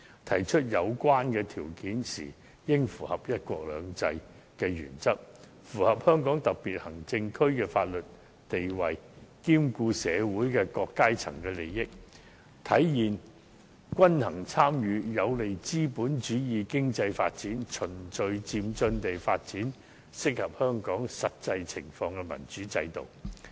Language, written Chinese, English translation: Cantonese, 提出有關條件時，應符合"一國兩制"的原則和香港特別行政區的法律地位，同時兼顧社會各階層的利益，體現均衡參與，有利資本主義經濟發展，循序漸進地發展適合香港實際情況的民主制度。, When putting forward the proposals we should adhere to the principle of one country two systems and the legal status of the Hong Kong Special Administrative Region while taking into account the interests of various sectors in society manifesting the principle of balanced participation and facilitating the economic development under the capitalists system thereby gradually and orderly promoting a democratic system suitable for Hong Kong in the light of the actual situation